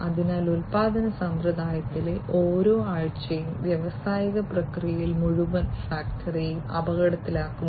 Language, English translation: Malayalam, So, every week line in the production system, in the industrial process puts the whole factory at risk